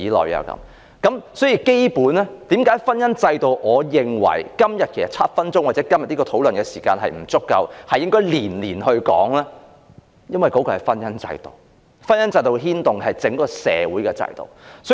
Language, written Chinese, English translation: Cantonese, 我認為，要討論基本婚姻制度，今天的7分鐘發言時間或今天的討論時間並不足夠，應該每年皆提出來討論一次，因為婚姻制度可牽動整個社會的制度。, I think if we are to discuss what the essence of our marriage institution should be the seven minutes of speaking time and even the total time allotted to this debate today will not be enough . The topic should be raised for discussion once a year because the marriage institution may impact all social institutions